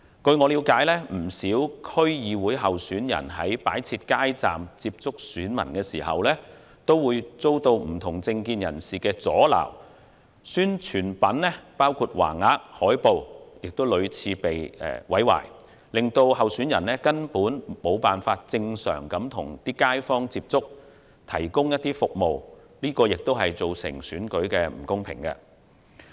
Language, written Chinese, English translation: Cantonese, 據我了解，不少區議會候選人在擺設街站與選民接觸時，均曾遭到不同政見人士阻撓，選舉宣傳品包括橫額、海報亦屢次被毀，令候選人未能正常地與街坊接觸，提供服務，這亦造成了選舉的不公平。, To my knowledge many candidates running in the DC Election have been obstructed by people holding dissenting political views when they tried to set up street booths to contact voters . Publicity materials for election purpose including banners and posters have also been repeatedly vandalized making it impossible for candidates to interact with residents in the community through normal channels and provide services to them . This has also resulted in unfairness in elections